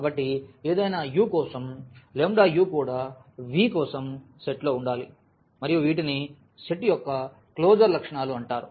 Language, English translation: Telugu, So, for any u, the lambda u must also be there in the set for V and these are called the closure properties of the set